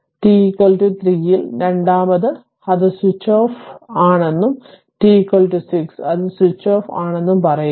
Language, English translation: Malayalam, So, at t is equal to 3, second say it is switched off switched on and t is equal to 6 it is switched off